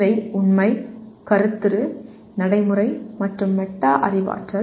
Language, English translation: Tamil, These are Factual, Conceptual, Procedural, and Metacognitive